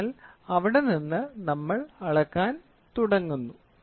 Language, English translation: Malayalam, So, and then from there, we start measuring this one